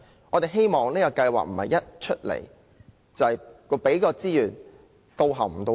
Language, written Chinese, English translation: Cantonese, 我們希望這項計劃不會"到喉唔到肺"。, We hope this scheme will not be scratching the surface only